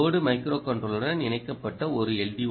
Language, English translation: Tamil, this is an l d o connected to the load micro controller